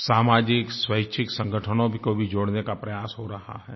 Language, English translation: Hindi, We are also trying to get voluntary organisations to join us in this effort